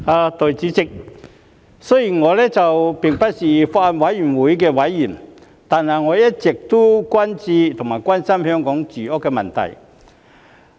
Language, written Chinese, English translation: Cantonese, 代理主席，雖然我並不是法案委員會的委員，但我一直都很關注和關心香港的住屋問題。, Deputy President although I am not a member of the Bills Committee I have grave attention and concern over Hong Kongs housing problem all along